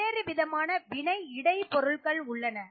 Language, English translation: Tamil, So, there are different types of intermediates